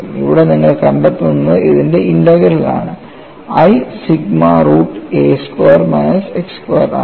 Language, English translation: Malayalam, We have to essentially get the integral sigma z d z divided by root of z squared minus a squared